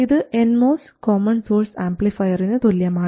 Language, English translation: Malayalam, Now, this is the Vmos common source amplifier